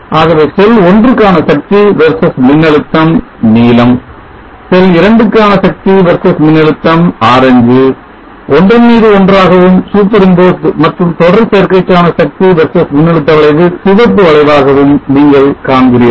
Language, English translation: Tamil, So this will give you the power versus voltage for the three cells you see them here so you see that the blue one power versus voltage for cell one and also cell2 orange so bring forced and the red curve is the power versus voltage curve for the series combination